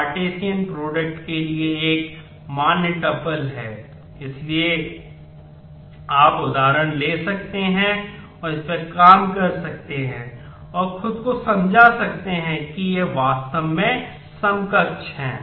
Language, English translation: Hindi, So, you could take examples and work this out and convince yourself that these are really equivalent